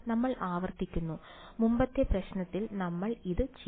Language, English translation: Malayalam, We have repeat, we have done this in the previous problem